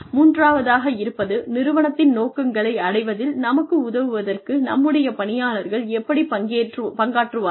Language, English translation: Tamil, The third is, how do our employees contribute, to helping us to achieving, the vision of the organization